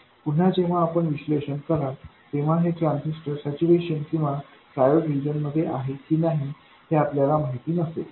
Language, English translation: Marathi, Again, when you do the analysis, you don't know whether this transistor is in saturation or in triode region